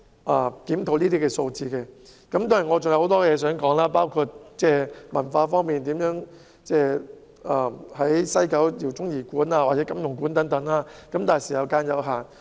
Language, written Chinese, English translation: Cantonese, 我其實還有很多議題想討論，包括文化方面，在西九文化區設立饒宗頤館或金庸館等，但發言時間有限。, In fact I still want to discuss many topics including the cultural aspects such as setting up Jao Tsung - I Gallery or Jin Yong Gallery in the West Kowloon Cultural District but my speaking time is limited